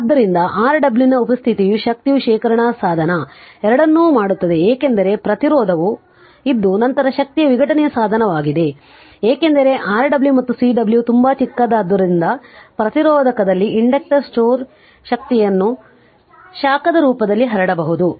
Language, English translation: Kannada, So, the presence of Rw makes both an energy storage device because resistance is there and then energy dissipation device right because, inductor store energy can be dissipated in the form of a heat say in the resistor since Rw and Cw are very very small and hence they can be ignored right in most of the cases so we will ignore that